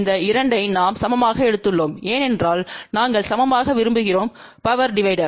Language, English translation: Tamil, So, if the 2 things which are coming in parallel and we want equal power division